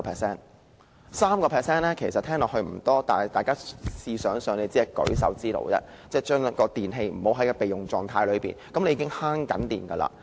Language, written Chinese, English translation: Cantonese, 雖然 3% 聽起來不多，但大家試想想，把處於備用狀態的電器關閉，只是舉手之勞，已可節省用電。, The saving of 3 % does not sound much but the simple act of turning off electrical appliances which are in standby mode can already save electricity